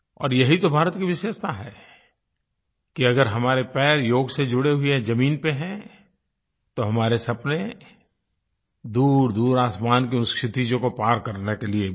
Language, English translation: Hindi, And this is the unique attribute of India, that whereas we have our feet firmly on the ground with Yoga, we have our dreams to soar beyond horizons to far away skies